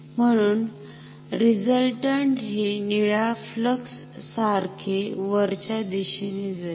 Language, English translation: Marathi, So, the resultant will be same as the blue flux upwards ok